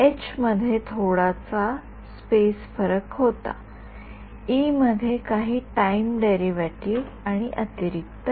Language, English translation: Marathi, I had a some space difference in H, some time derivative in E and an additional term